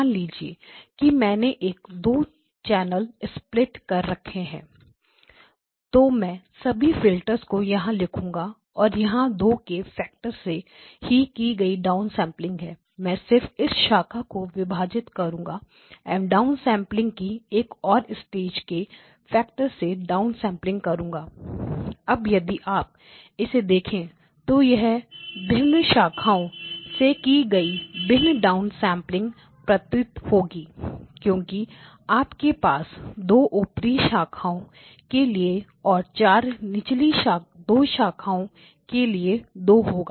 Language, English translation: Hindi, So, supposing I do a I do a 2 channel split okay, so I will write down all the filters there is a filter here and there is a down sampling by a factor of 2, okay now I split only this branch as one more stage down sampling by a factor of 2, and this is down sample by a factor of 2, so now if you look at it